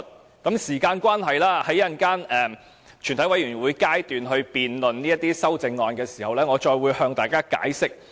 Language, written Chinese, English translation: Cantonese, 由於時間關係，在稍後全體委員會審議階段辯論這些修正案時，我再會向大家解釋。, Given the time constraints I will explain further to Members when we later debate on the CSAs at the Committee stage